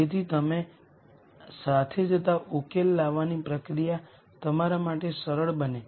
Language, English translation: Gujarati, So that the solution development process becomes easier for you as you go along